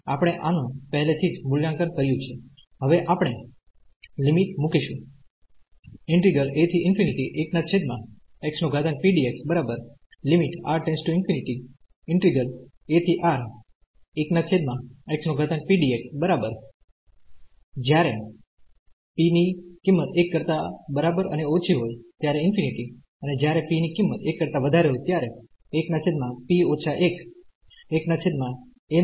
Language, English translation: Gujarati, We have already evaluated this now we will put the limits